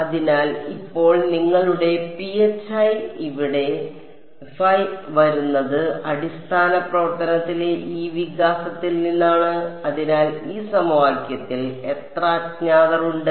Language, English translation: Malayalam, So, now, your phi over here is coming from this expansion in the basis function so, how many unknowns in this equation